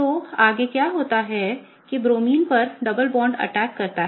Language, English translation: Hindi, So, what happens next is that the double bond attacks on this Bromine